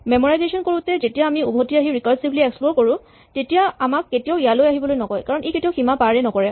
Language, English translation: Assamese, So, when we do memoization when we come back and recursively explore it will never ask us to come here because it will never pass these boundaries